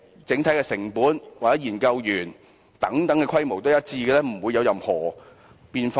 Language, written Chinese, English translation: Cantonese, 整體成本或研究員的規模是否都是一樣，不會有任何變化呢？, Are the overall costs or the research personnel establishment always the same without any changes?